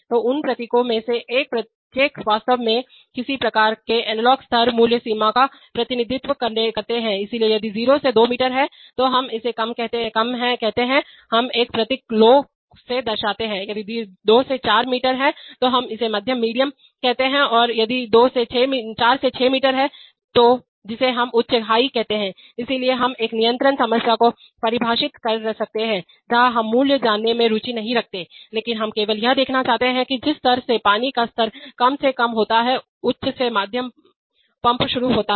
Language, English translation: Hindi, So each of those symbols actually represent some kind of an analog level value range, so if it is 0 to 2 meters, we just call it low we indicated by a symbol low if it is 2 to 4 meters we call it medium and if it is 4 to 6 meters we call it high so we may define a control problem where we are not interested in knowing the value but we are only interested to see that the moment the water level falls from low to, from high to medium start the pump